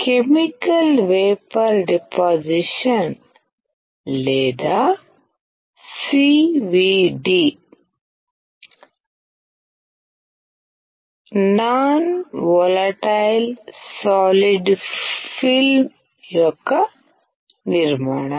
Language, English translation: Telugu, Chemical vapor deposition or CVD, is a formation of non volatile solid film